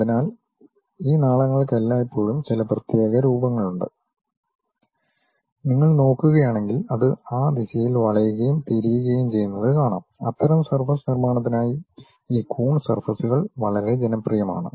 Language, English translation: Malayalam, So, these ducts always have some specialized kind of form, if you are looking at that they nicely turn and twist in that directions, for that kind of surface construction these Coons surfaces are quite popular